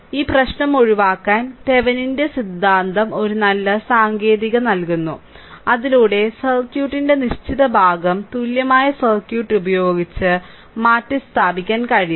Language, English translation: Malayalam, So, to a avoid this problem Thevenin’s theorem gives a good technique by which fixed part of the circuit can be replaced by an equivalent circuit right